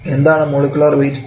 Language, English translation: Malayalam, And what is the unit of molecular weight